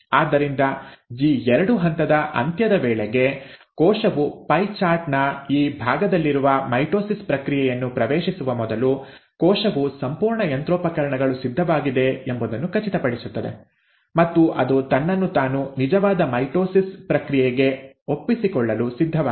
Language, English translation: Kannada, So by the end of G2 phase, before a cell actually enters the process of mitosis which is in this part of the pie chart, the cell ensures that the entire machinery is ready and is willing to commit itself to the actual process of mitosis